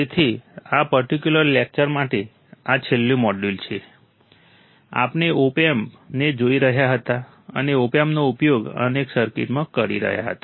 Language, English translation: Gujarati, So, this is the last module for this particular lecture, we were looking at the opamp and using the opamp as several circuits